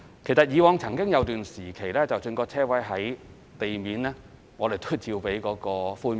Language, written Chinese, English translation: Cantonese, 其實以往曾經有段時期，即使車位在地面，我們亦照樣批出寬免。, In fact there was a time when we granted concessions even for above - ground parking spaces